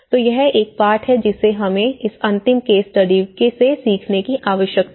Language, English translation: Hindi, So, this is one lesson which we need to learn from this last case study